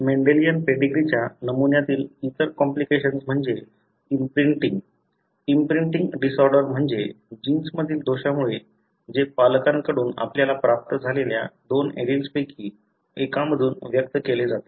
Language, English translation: Marathi, The other complication in Mendelian pedigree pattern is imprinting, imprinting disorder is what you call; caused by a defect in genes that are normally expressed from one of the two alleles that we receive from parents